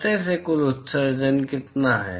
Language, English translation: Hindi, what is the total emission from surface i